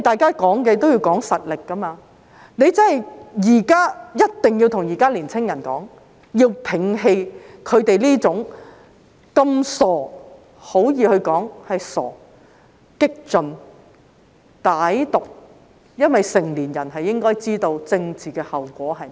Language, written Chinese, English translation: Cantonese, 較量也要看實力，他們必須告訴年青人，要摒棄這種傻氣——可以說是傻氣——激進、歹毒的思想，因為成年人應該知道政治後果是甚麼。, A challenge is a test of strength . They must tell young people to abandon such foolish―it is justified to say foolish―radical malevolent thinking because adults should know what the political consequences will be